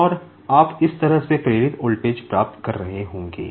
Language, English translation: Hindi, And, you will be getting the voltage induced like this